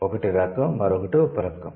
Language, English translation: Telugu, One is type, the other one is subtype